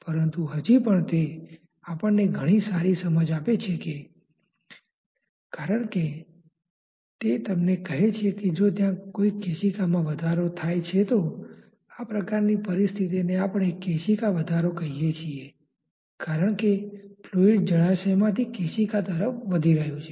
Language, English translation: Gujarati, But still it gives a lot of good insight because it tells you that if there is a capillary rise say in this kind of a situation we call it a capillary rise because as if the fluid is rising from the reservoir towards the capillary